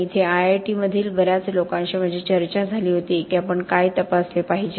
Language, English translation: Marathi, And that is a debate that I had with many of the people here at IIT is what should we be testing